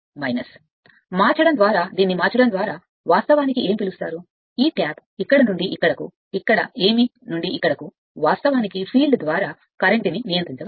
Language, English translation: Telugu, And this your, what you call by changing this by changing, this tap from here to here, what here to here, you can control the current through so the field right